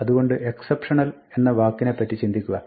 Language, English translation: Malayalam, So, think of the word exceptional